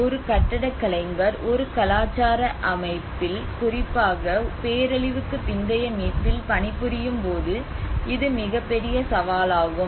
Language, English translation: Tamil, This is one of the biggest challenge when an architects work in a cultural settings, especially in the post disaster recover